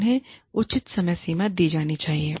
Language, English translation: Hindi, They should be given, reasonable deadlines